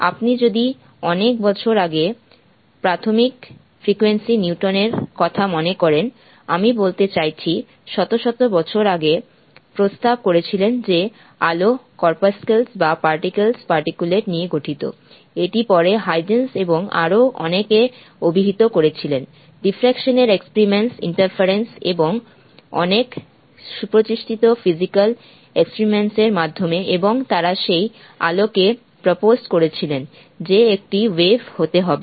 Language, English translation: Bengali, If you recall elementary physics, Newton many many years ago, I mean hundreds of years ago, proposed that light consists of corpuscles or particles particulate that was disputed latter by Heisen's and many others through the experiments of diffraction interference and many well established physical experiments, and they proposed to that light had to be a wave